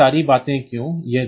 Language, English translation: Hindi, Now, why all these things